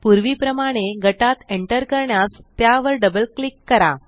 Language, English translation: Marathi, As before, double click on it to enter the group